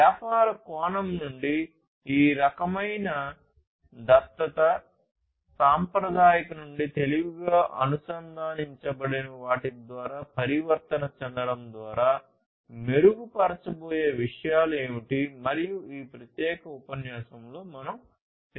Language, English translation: Telugu, From a business perspective; what are the, what are the things that are going to be improved through this kind of adoption, transformation from the traditional to the smarter ones through a connected one, and so on, and this is what we have discussed in this particular lecture